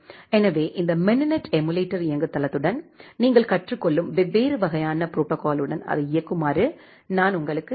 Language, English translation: Tamil, So, I will I will suggest you to play with this mininet emulator platform and the different kind of protocol that you are learning execute it on top of that